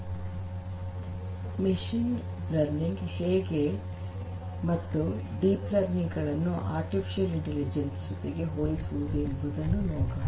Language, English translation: Kannada, So, how machine learning compares with deep learning and how machine learning, deep learning; they compared together with artificial intelligence